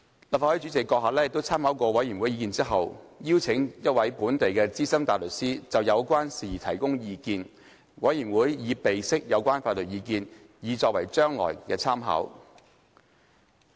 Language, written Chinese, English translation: Cantonese, 立法會主席閣下參考過委員會的意見後，已邀請一位本地的資深大律師就有關事宜提供意見，委員會已備悉有關法律意見以作將來參考。, Having taken into account the views of the Committee the President of the Legislative Council invited a local senior counsel to advise on this matter . The Committee notes the legal advice for future reference